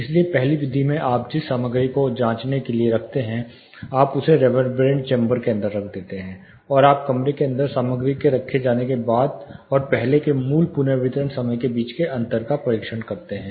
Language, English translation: Hindi, So, the first method you place that you know material to be tested, you mount it inside the reverberant chamber, and you test the difference between the original reverberation time, and reverberation time after the material is placed inside the room